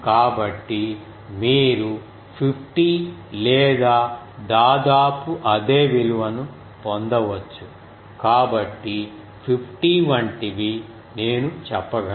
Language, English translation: Telugu, So, you can get is something like 50 or something so something like 50 I can say